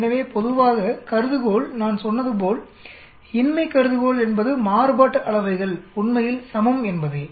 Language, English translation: Tamil, So generally, the hypothesis, as I said null hypothesis is the variances are equal actually